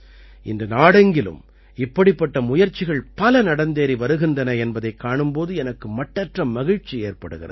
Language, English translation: Tamil, It gives me great pleasure to see that many such efforts are being made across the country today